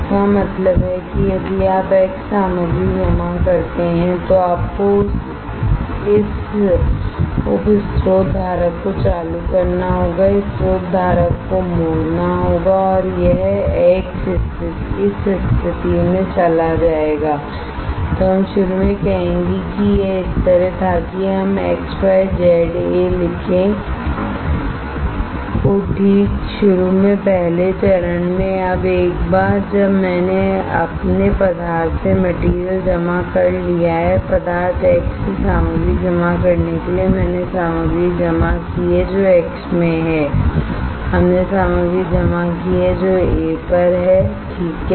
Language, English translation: Hindi, That means if you are done depositing X material then you have to turn this sub source holder turn the source holder right and this X will go to this position, let us say initially it was like this let us write X Y Z A alright initially first step, now once I am done by of depositing materials from substance, from the source X once I am done depositing the material which is in X we have to deposit a material which is on A alright that is our process